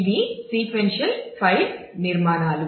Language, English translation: Telugu, So, these sequential file organizations